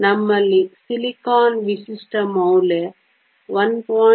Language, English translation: Kannada, So, we have silicon typical value is 1